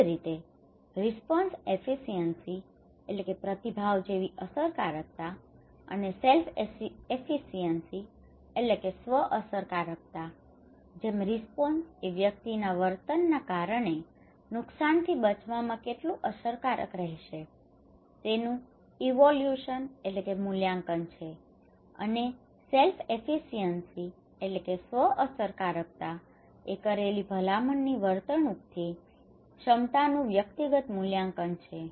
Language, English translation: Gujarati, Similarly, response efficacy and self efficacy like response is the evaluation of how effective the behaviour will be in protecting the individual from harm and the self efficacy is the individual evaluation of their capacity to perform the recommended behaviour